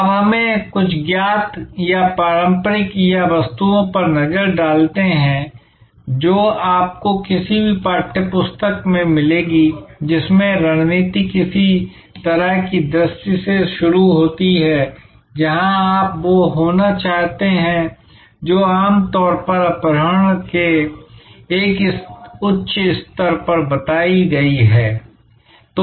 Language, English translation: Hindi, Now, let us look at some known or traditional or items that you will find in any text book that strategy starts with some kind of a vision, where you want to be which is a sort of usually stated at a high level of abduction